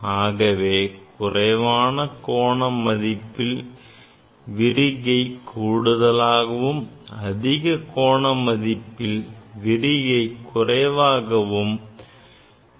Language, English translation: Tamil, at the at the lower angle divergence is more and at the higher angle divergence is less